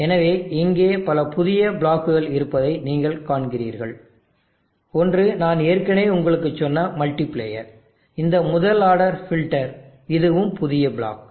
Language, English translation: Tamil, So here you see that there are so many new blocks on the multiplier I already told you, this first order filter this is also new block